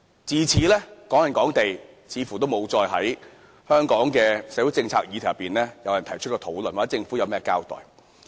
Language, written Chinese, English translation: Cantonese, 自此，"港人港地"似乎沒有再在香港的社會政策議題上被提出討論或獲政府作任何交代。, Since then it seems that Hong Kong property for Hong Kong residents has never been discussed as a topic in social policies of Hong Kong or has been mentioned by the Government